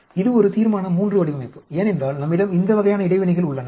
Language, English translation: Tamil, This is a Resolution III design because we have these types of interactions